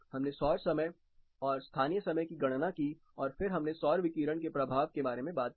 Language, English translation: Hindi, We calculated solar time and local time and then we talked about the impact of solar radiation